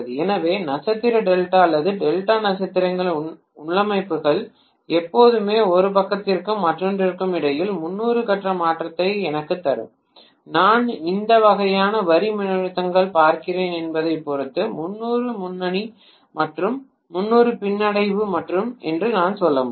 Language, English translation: Tamil, So star delta or delta star configurations will always give me 30 degree phase shift between one side and the other I can say 30 degree lead or 30 degree lag depending upon what kind of line voltages I am looking at